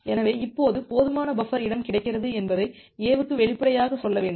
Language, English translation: Tamil, So, it need to explicitly tell to A that now sufficient buffer space is available